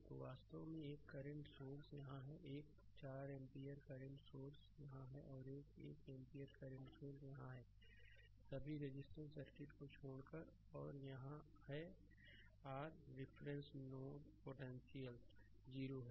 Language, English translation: Hindi, So, this is actually ah one current source is here, a 4 ampere current source is here, another one ampere current source is here and rest all the resistive circuit and this is your reference node potential is 0